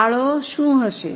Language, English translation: Gujarati, What will be the contribution